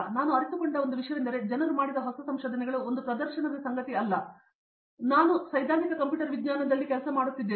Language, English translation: Kannada, One thing I realized there was, it’s not just a show case of the new discoveries that people have made or I working theoretical computer science